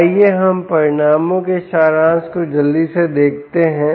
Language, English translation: Hindi, so lets quickly looked at the summary of the results